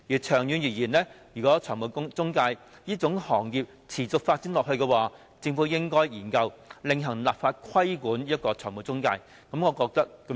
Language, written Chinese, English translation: Cantonese, 長遠而言，如果財務中介這行業持續發展下去，政府應該研究另行立法規管中介公司。, In the long term if the financial intermediary industry continues to develop the Government should study the enactment of a separate piece of legislation on the regulation of intermediaries